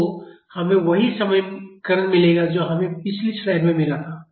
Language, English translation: Hindi, So, we will get the same equation as we got in the previous slide